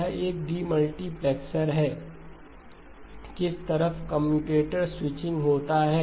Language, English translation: Hindi, It is a demultiplexer which ways the commutator switching